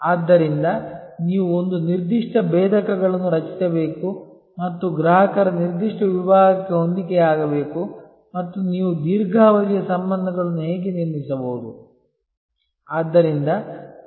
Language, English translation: Kannada, So, you have to create a certain set of differentiators and match a particular segment of customers and that is how you can build long term relationships